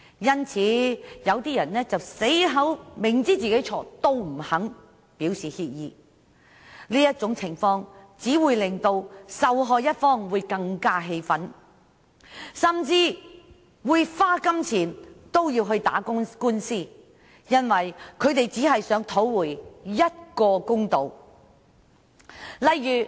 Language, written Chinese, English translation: Cantonese, 因此，有些人明知是自己的錯，也不肯表示歉意，這種情況只會令受害一方更為氣憤，不惜花錢進行訴訟，為的只是要討回公道。, So some people never showed their regret despite knowing well that they did make a mistake . Such a situation will only infuriate the aggrieved party further rendering them more insistent on seeking justice by resorting to litigation